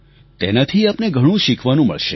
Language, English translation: Gujarati, This experience will teach you a lot